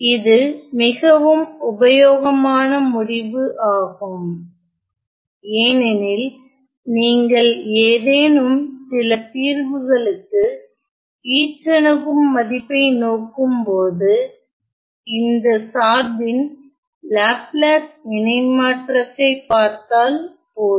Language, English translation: Tamil, Now, this is specially useful result, because if you were to look at the asymptotic value of some solution all we have to do is to take the Laplace transform of the function